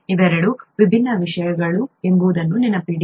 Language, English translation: Kannada, Remember these two are different things